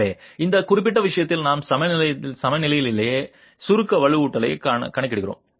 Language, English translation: Tamil, So, in this particular case we are accounting for the compression reinforcement in the equilibrium itself